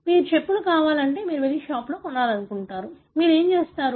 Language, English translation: Telugu, If you want slippers, you want to go and buy in a shop, you know, what do you do